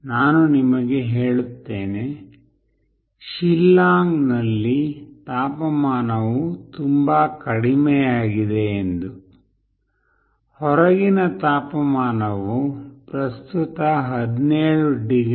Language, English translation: Kannada, Let me tell you the temperature out here in Shillong is quite low; the outside temperature currently is 17 degrees